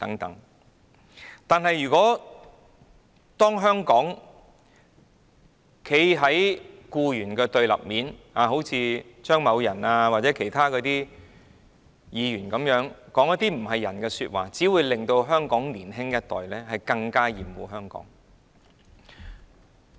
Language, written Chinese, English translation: Cantonese, 但是，如果政府站在僱員的對立面，好像張議員或其他議員般，說一些涼薄說話，只會令香港年輕一代更厭惡香港。, Making mean remarks like what Mr CHEUNG and some other Members did will only irritate our younger generation to hate Hong Kong more